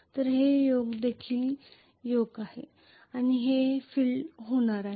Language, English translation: Marathi, So this is Yoke this is also Yoke and these are going to be the field